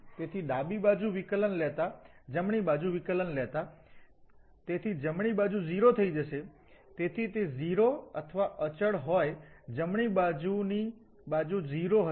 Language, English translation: Gujarati, So taking the derivative left hand side, taking the derivative right hand side, so right hand side will become 0, so whether it is 0 or constant, the right hand side will be 0